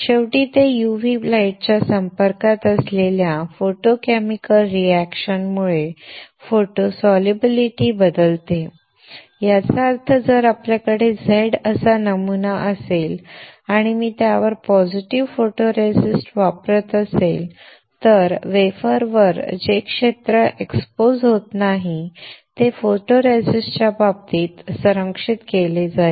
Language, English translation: Marathi, Finally, it changes photo solubility due to photochemical reaction exposed to UV light; that means, if we have a pattern which is Z and I use positive photoresist on it, then on the wafer the area which is not exposed will be protected in case of photoresist